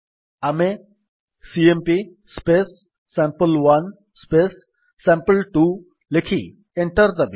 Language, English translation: Odia, We will write: cmp sample1 sample2 and press Enter